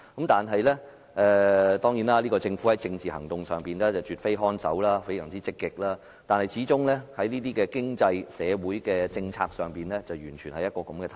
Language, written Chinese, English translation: Cantonese, 當然，這個政府在政治行動上卻絕非看守，反而非常積極，但在經濟、社會政策方面則不然。, Of course in respect of political actions the current Government is by no means a caretaker government as it is very proactive though it acts contrarily in regard to economic and social policies